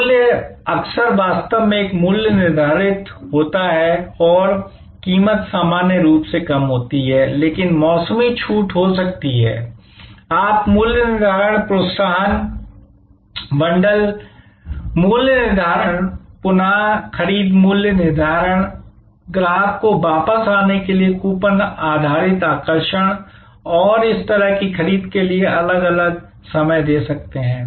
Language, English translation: Hindi, Price often actually a prices set and price is not normally reduced, but there can be seasonal discounts, you can give different times of pricing incentives, bundle pricing, repeat purchase pricing, coupon based attraction to the customer to come back and a purchase that sort of price adjustment strategies can be there